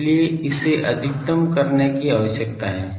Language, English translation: Hindi, So, this needs to be maximised